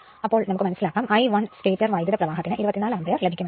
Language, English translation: Malayalam, So, here it is your what you call that I 1 stator current you will get 24 ampere right